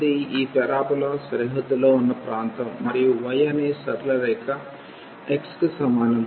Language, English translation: Telugu, This is the area of the region bounded by this parabola and the straight line y is equal to x